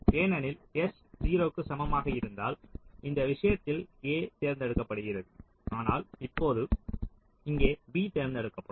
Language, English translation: Tamil, ok, this is not equivalent because if s equal to zero, in this case a was selected, but now here b will get be selected